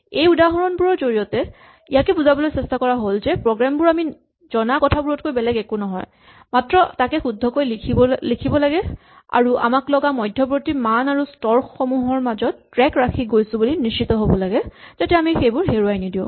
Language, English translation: Assamese, These examples should show you that programs are not very different from what we know intuitively, it is only a question of writing them down correctly, and making sure that we keep track of all the intermediate values and steps that we need as we long, so that we do not lose things